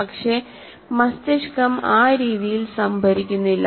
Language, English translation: Malayalam, But the brain doesn't store that way